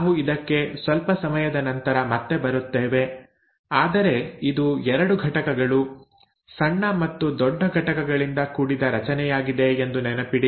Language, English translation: Kannada, We will come to this little later again but remember it is a structure made up of 2 units, a small and large unit